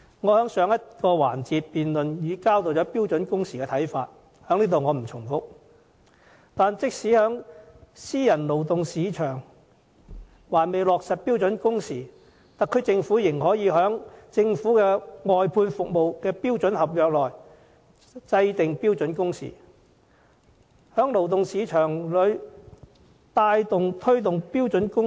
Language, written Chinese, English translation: Cantonese, 我在上個環節的辯論已交代對標準工時的看法，這裏不再重複，但即使私人勞動市場還未落實標準工時，特區政府仍可在政府外判服務的標準合約內制訂標準工時，在勞動市場裏牽頭推動標準工時。, In the last debate session I presented my views on standard working hours so I will not make any repetition here . However even though standard working hours has yet to be implemented in the private - sector labour market the Special Administrative Region Government can still take the lead in championing such protection in the labour market by prescribing standard working hours in the standard contract for services outsourced by the Government